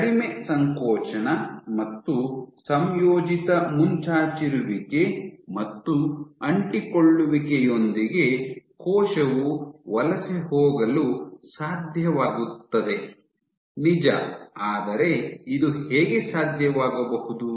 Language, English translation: Kannada, Even with less contraction if the combined protrusion and adhesion the cell is able to migrate and how is this possible